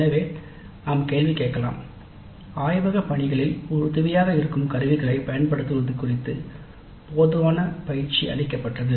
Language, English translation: Tamil, So we can ask a question, adequate training was provided on the use of tools helpful in the laboratory work